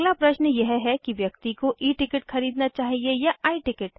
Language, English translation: Hindi, The next question is should one buy E ticket or I ticket